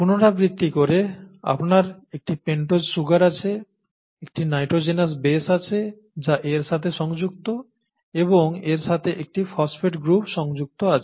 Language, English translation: Bengali, Repeating; you have a pentose sugar, you have a nitrogenous base that is attached to this, and you have a phosphate group attached to this